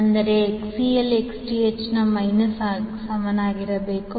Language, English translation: Kannada, That is XL should be equal to minus of Xth